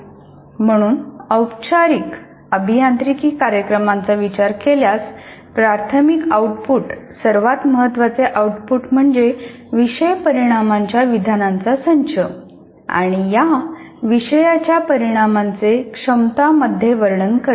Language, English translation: Marathi, As far as engineering courses, formal engineering programs are concerned, the primary output, the most significant output is the set of course outcome statements and elaborating this course outcome statements into competencies